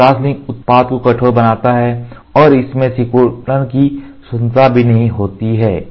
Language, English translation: Hindi, This crosslink makes the product rigid and it is also does not have the freedom of a shrinkage ok